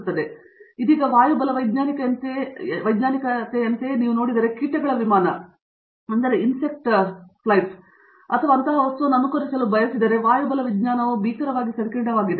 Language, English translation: Kannada, But, if you now look at like it is aerodynamics like for example, if you want to mimic insect flight or some such thing, the aerodynamics is horrendously complicated